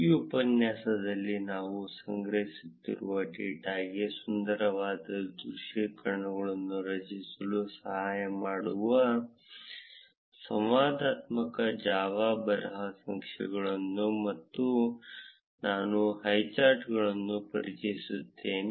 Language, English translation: Kannada, In this tutorial, I will introduce highcharts the interactive java script charts which help in creating beautiful visualizations for the data that we have been collecting